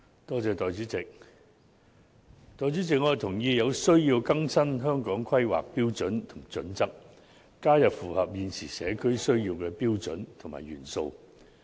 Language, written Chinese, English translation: Cantonese, 代理主席，我同意有需要更新《香港規劃標準與準則》，加入符合現時社會需要的標準和元素。, Deputy President I agree that there is a need to update the Hong Kong Planning Standards and Guidelines HKPSG by including in it standards and elements that meet the needs of todays society